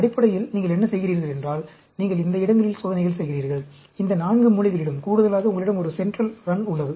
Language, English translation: Tamil, Basically, what you are doing is, you are doing experiments at these places, these 4 corners, plus, you have a central run